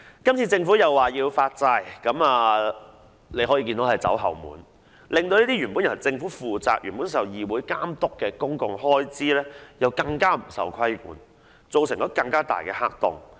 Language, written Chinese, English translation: Cantonese, 今次政府再次採取發債方式，可說是"走後門"，令原本由政府負責、受議會監督的公共開支更加不受規管，造成更大的黑洞。, The Governments further issuance of bonds this time around may be regarded as a backdoor approach which will leave the public expenditure supposed to be managed by the Government and monitored by the Council even more unregulated thereby forming an even greater black hole